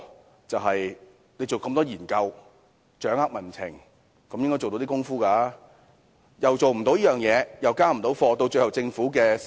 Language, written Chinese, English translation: Cantonese, 它進行這麼多研究，掌握民情，本應做到一點工夫，但它卻做不到，最後連累政府的施政。, It has conducted many researches to grasp public sentiments so they should have been able to deliver some results . But it has failed to do so thus adversely affecting the Governments work in the end